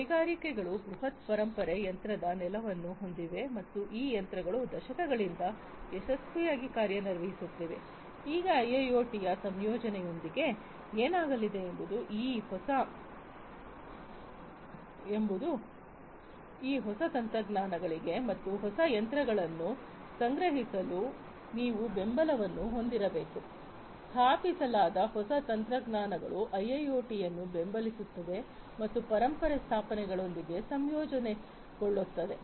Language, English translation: Kannada, Industries have huge legacy machine base and these machines have been operating successfully since decades, now with the incorporation of IIoT what is going to happen is you have to have support for these newer technologies and newer machines being procured with the installed new technologies supporting IIoT and also having that integrate with the legacy installations that are already there